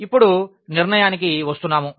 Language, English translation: Telugu, So, and now coming to the conclusion